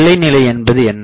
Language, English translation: Tamil, We put boundary condition